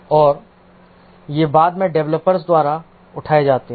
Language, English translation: Hindi, And these are taken up later by the developers